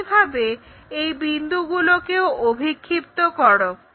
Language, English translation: Bengali, Similarly, project these points